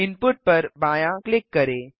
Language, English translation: Hindi, Left click Input